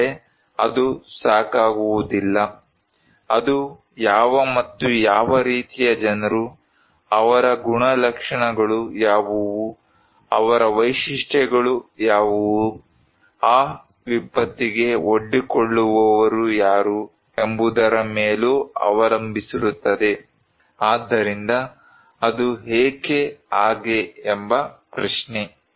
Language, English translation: Kannada, But that is not only enough, it also depends on what and what types of people, what are their characteristics, what are their features, who are exposed to that disaster, so to define disaster so, the question is why is so